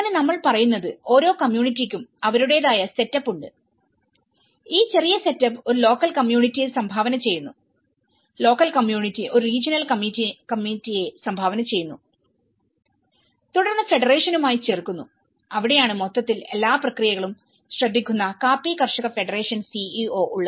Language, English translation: Malayalam, So, that is where we are talking about each community have their own setup and these smaller setups contribute a local community, the local community contributes a regional committee and then adding with the federation and that is where coffee grower’s federation CEO who looks into the overall process